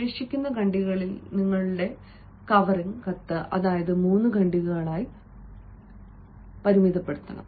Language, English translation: Malayalam, in the remaining paragraphs, as i said, you you must confine your covering letter to three paragraphs